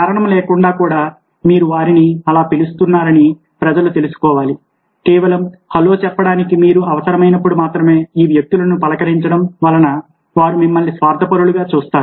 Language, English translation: Telugu, people should know that you are calling them up just like that, even without reason, just to say hello, rather than just calling of these people only when you need them, then they will treat you as selfish